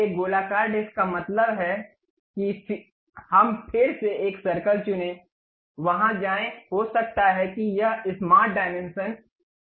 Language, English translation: Hindi, So, a circular disc means again we pick a circle, go there, maybe it might be of smart dimensions 45 units, done